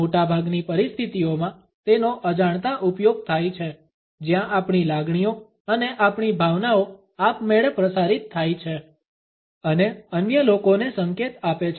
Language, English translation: Gujarati, In most of the situations it is an unintention use where our feelings and our emotions are automatically transmitted and signal to other people